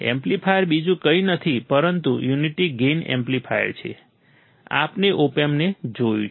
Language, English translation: Gujarati, The amplifier is nothing but unity gain amplifier, we have seen the OP Amp right